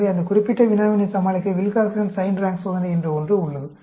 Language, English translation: Tamil, So, in order to overcome that particular problem, we have something called Wilcoxon Signed Rank Test